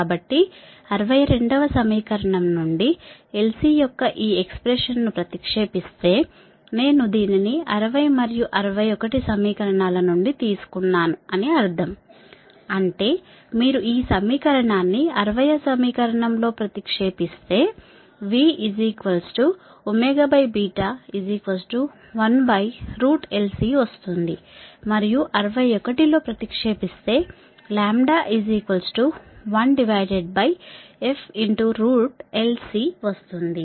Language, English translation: Telugu, so if substituting this expression of l c from equation sixty two, i mean this one in to equation sixty and sixty one right, that means, if you substitute this equation in equation sixty, that is, v is equal to one upon root over l c and in sixty one by lambda is equal to one upon f root over l c